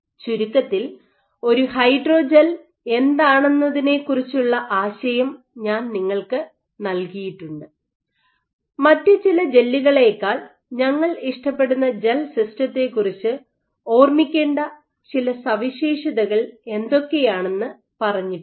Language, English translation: Malayalam, So, in summary I have given you an idea of what a hydrogel is, what are some of the properties which you need to keep in mind with gel system we would prefer over some other gels